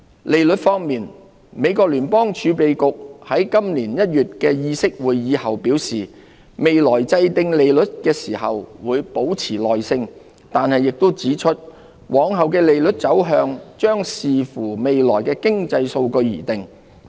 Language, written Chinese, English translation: Cantonese, 利率方面，美國聯邦儲備局在今年1月的議息會議後表示未來制訂利率時會"保持耐性"，但亦指出往後的利率走向將視乎未來的經濟數據而定。, As regards interest rates the Federal Reserve stated after its Open Market Committee meeting in January this year that it would be patient in determining future rate adjustments while pointing out that subsequent rate moves would depend on economic data